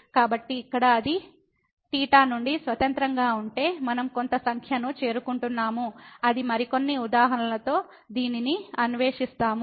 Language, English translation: Telugu, So, here if it is independent of theta we are approaching to some number then that would be the limit we will explore this in some more example